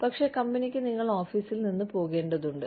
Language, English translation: Malayalam, But, the company needs you, to leave the office